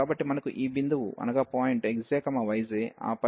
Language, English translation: Telugu, So, we have this point like x j and y j, and then f x j, y j